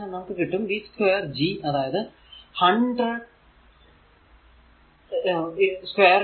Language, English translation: Malayalam, And in that case v is equal to 0